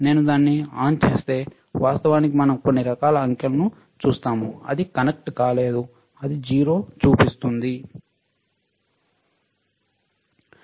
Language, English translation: Telugu, If I turn it on we see some kind of digits right, actually it is not connected so, it is showing 0 right